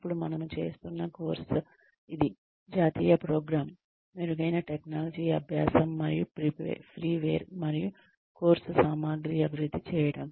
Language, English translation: Telugu, This, the national program on, technology enhanced learning, and freeware, and development of course material